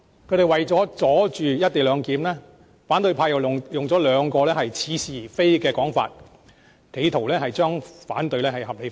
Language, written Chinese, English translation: Cantonese, 他們為了阻止"一地兩檢"議案通過，反對派用了兩個似是而非的說法，企圖要將反對合理化。, In order to stop the motion on the co - location arrangement the opposition camp has raised two arguments trying to justify their rejection